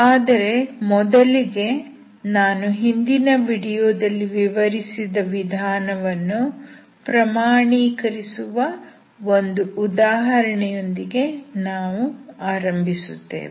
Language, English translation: Kannada, We will start with giving an example to demonstrate the method explained in my last video